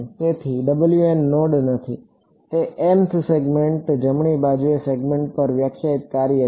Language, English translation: Gujarati, So, W m is not a node it is the function defined on the segment on the mth segment right